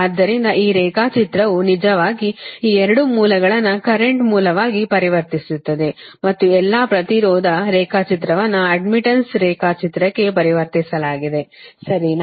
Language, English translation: Kannada, so this diagram, this one, actually transform this two sources, transform in to current source and all the impedance diagram i have been transform in to admittance diagram, right